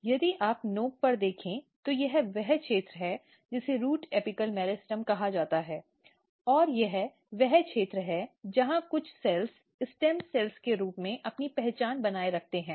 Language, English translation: Hindi, And if you look at the very tip this is the region which is called shoot root apical meristem, and this is the region where some cells retain their identity as a stem cells